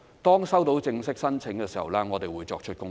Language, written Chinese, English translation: Cantonese, 當收到正式申請的時候，我們會作出公布。, When formal applications are received we will make an announcement